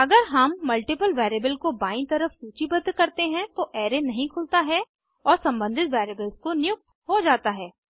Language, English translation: Hindi, If we list multiple variables on the left hand side, then the array is unpacked and assigned into the respective variables